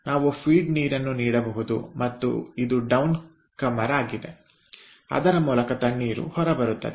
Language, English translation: Kannada, here one can give the feed water and this is the down comer through which cold water will come out